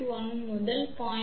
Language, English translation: Tamil, 1 to 0